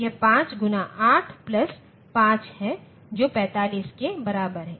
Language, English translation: Hindi, It is 5 into 8 plus 5 that is equal to 45